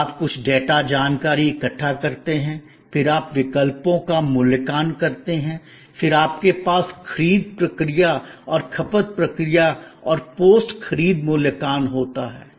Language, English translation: Hindi, Then, you gather some data information, then you evaluate alternatives, then you have the purchase process and consumption process and post purchase evaluation